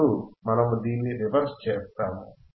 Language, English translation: Telugu, Now we will do the reverse of this,